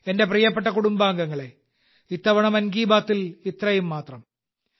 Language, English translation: Malayalam, My dear family members, that's all this time in 'Mann Ki Baat'